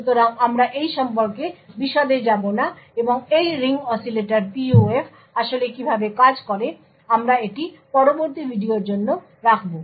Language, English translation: Bengali, So, we will not go into details about this and how this Ring Oscillators PUF actually works, this we will actually keep for the next video